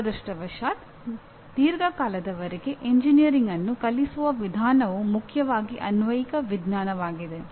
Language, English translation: Kannada, Unfortunately over a long period of time, engineering way it is taught has predominantly become applied science